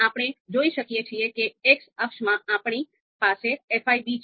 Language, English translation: Gujarati, So here, you would see that in the X axis we have fi b